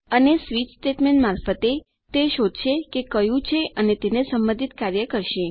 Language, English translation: Gujarati, And through a switch statement it detects which one and performs the relevant operation to it